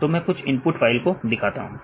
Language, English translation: Hindi, So, I show some of the input files